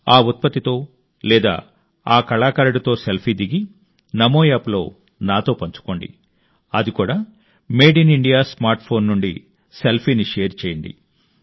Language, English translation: Telugu, Make it a habit in life, and share a selfie with that product, or with that artisan, with me on Namo App and that too through a made in India smartphone